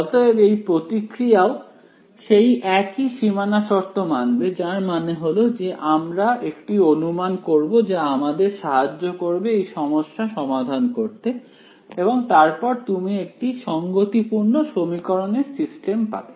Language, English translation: Bengali, So, this response also will follow the same boundary conditions that is; that is one assumption that we will make ok, that helps us to solve the problem and you get a consistent system of equations after that